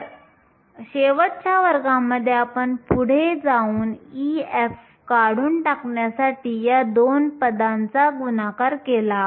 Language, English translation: Marathi, So, in last class we went ahead and multiplied these two terms in order to eliminate e f